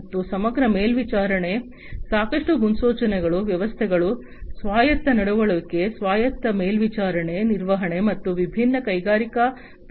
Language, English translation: Kannada, And holistic monitoring lots of predictions autonomous behavior of the systems, autonomous monitoring, maintenance, prediction everything together of these different industrial processes